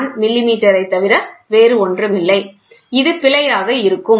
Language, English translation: Tamil, 001 millimeter this will be the error, ok, fine